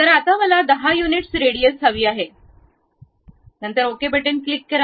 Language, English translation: Marathi, So, radius I would like to have something like 10 units, then click ok